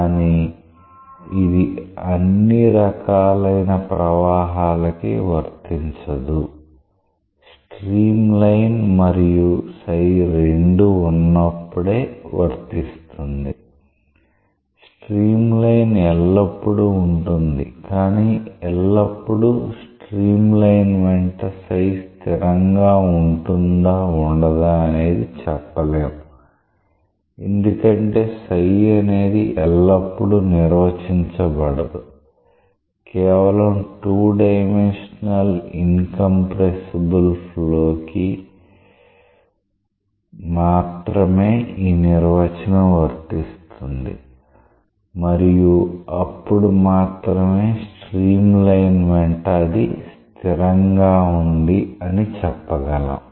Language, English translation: Telugu, So, this relationship is not for all types of flow; this is only for that case when both are there streamline is always there, but always psi equal to constant along a streamline is not relevant because always psi is not defined; only for 2 dimensional incompressible flow these definition works and only for that case we may say that it is constant along a streamline